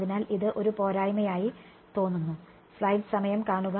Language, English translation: Malayalam, So, that seems like a bit of a disadvantage